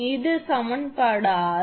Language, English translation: Tamil, This is equation 7